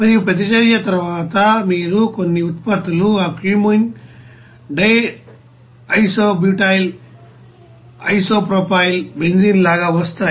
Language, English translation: Telugu, And after reaction you will see some products will be coming out like you know that cumene, you know di isobutyl, you know isopropyl benzene